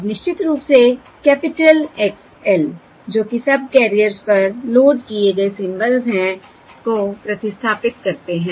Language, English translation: Hindi, Now substituting, of course, the capital X L, which are the symbols loaded onto the subcarriers